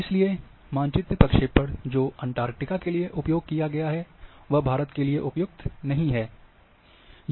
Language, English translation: Hindi, So, if you map projection which is being used for Antarctica, then it is not suitable for India